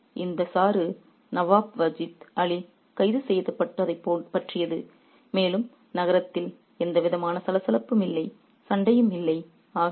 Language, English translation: Tamil, So, this extract is about the arrest of Nawab Vajid Ali and there was no commotion in the city and no fighting